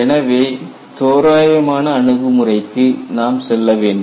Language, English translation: Tamil, So, we need to go in for approximate approach